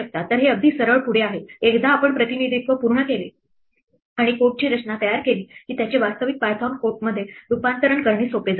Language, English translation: Marathi, So, it is fairly straight forward once we have got the representation worked out and the structure of the code worked out, it is very easy to transform it into actual python code